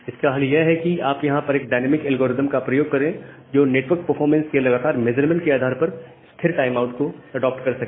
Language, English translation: Hindi, So, the solution here is that you use a dynamic algorithm that constantly adopts the timeout interval, based on some continuous measurement of network performance